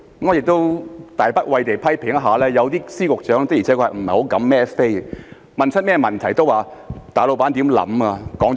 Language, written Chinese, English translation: Cantonese, 我亦冒大不韙地批評，有些司局長的確不敢"孭飛"；無論問他們甚麼問題，都會說大老闆想甚麼，說了甚麼。, I am also going out on a limb to criticize some Secretaries of Departments and Directors of Bureaux for indeed not daring to take full accountability . No matter what questions they are asked they would repeat the thoughts and words of their boss